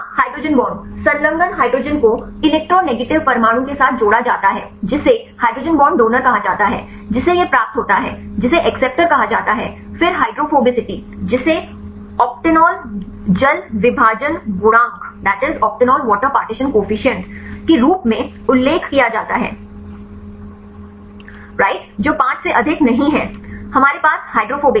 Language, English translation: Hindi, Yeah hydrogen bond attached hydrogen attached with the electronegative atom that is called hydrogen bond donor right which one receives this one is called acceptor then the hydrophobicity that is mentioned as octanol water partition coefficient right that is not greater than 5 we have the hydrophobic